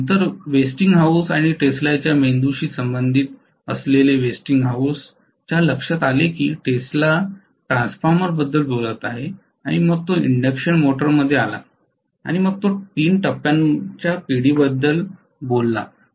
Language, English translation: Marathi, And later on Westinghouse and Tesla with Tesla brain, Westinghouse realized Tesla kind of talked about transformer then he came to induction motor, then he talked about the 3 phase generation